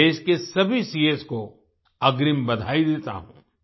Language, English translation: Hindi, I congratulate all the CAs of the country in advance